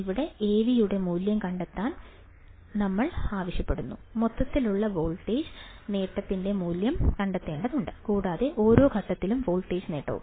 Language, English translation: Malayalam, Here, we are asked to find the value of Av, we have to find the value of overall voltage gain, and also the voltage gain for each stage